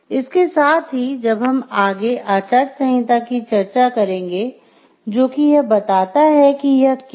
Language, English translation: Hindi, So, with that we will go for further discussion of code of ethics and what it states